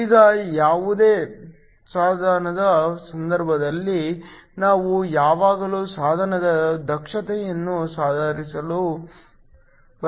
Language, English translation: Kannada, Now, in the case of any device, we always want to improve the efficiency of the device